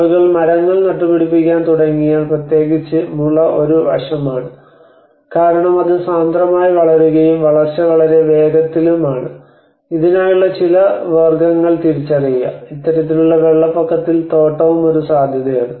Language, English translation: Malayalam, So imagine if people start planting the trees and especially bamboo is one aspect one because it can densely grow and as well as it was very quick in growing so there are some species one can identify, and plantation could be possible in this kind of flood affected areas